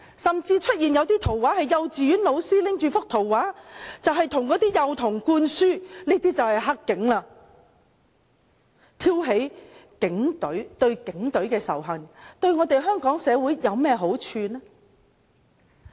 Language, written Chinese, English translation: Cantonese, 甚至出現一些圖畫，是幼稚園老師拿着圖畫向幼童灌輸"黑警"意識，挑起對警隊的仇恨，對香港社會有何好處呢？, There were even pictures in which kindergarten teachers instilled young children the concept of black cops provoking hatred towards the Police . What benefit does this bring to Hong Kong society?